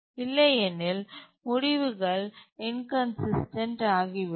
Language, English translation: Tamil, Otherwise the results will be inconsistent